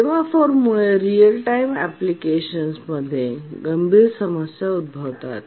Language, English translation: Marathi, The semaphore causes severe problems in a real time application